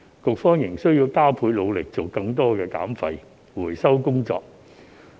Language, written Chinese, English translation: Cantonese, 局方仍須加倍努力做更多減廢回收的工作。, The Bureau shall redouble its efforts to do more waste reduction and recycling work